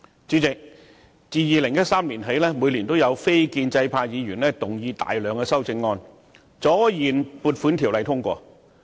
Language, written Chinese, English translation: Cantonese, 主席，自2013年起，每年也有非建制派議員動議大量修正案，阻延《撥款條例草案》通過。, Chairman Members from the non - establishment camp have since 2013 moved a large number of amendments year after year to delay the passage of appropriation bills